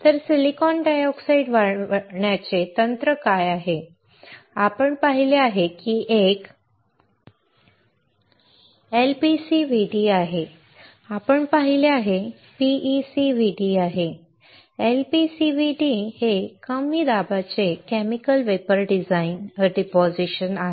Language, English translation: Marathi, So, what are the techniques for growing the silicon dioxide, we have seen that one we have seen is LPCVD, we have seen is PECVD, LPCVD is nothing but Low Pressure Chemical Vapor Deposition